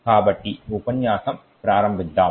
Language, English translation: Telugu, So, let us start this lecture